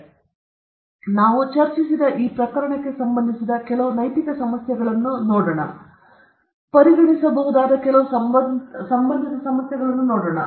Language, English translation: Kannada, So, let see some of the ethical issues particularly pertaining to this case which we have discussed, and also some of the associated issues which we can consider in this context